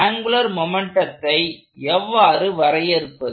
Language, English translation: Tamil, So, how do I define angular momentum